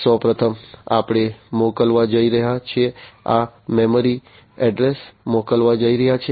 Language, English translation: Gujarati, So, first of all we are going to send this memory is going to send the address